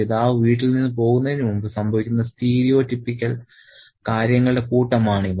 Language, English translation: Malayalam, So, these are a stereotypical set of things that happen before the father leaves the house